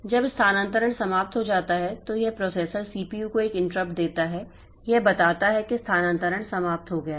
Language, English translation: Hindi, When the transfer is over, it gives an interrupt to the processor, CPU, telling that transfer is over